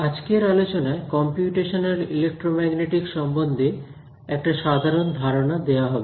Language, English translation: Bengali, So today’s class is going to give you an overview of the field of Computational Electromagnetics